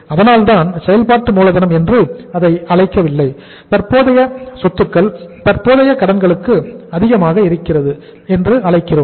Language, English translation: Tamil, That is why I am not calling it as the net working capital I am calling it as the excess of current asset to current liability